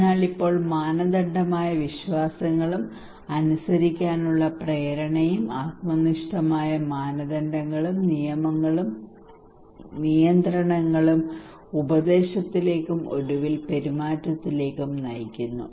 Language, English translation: Malayalam, So now normative beliefs and motivation to comply and the subjective norms okay rules and regulations that leads to intention and eventually the behaviour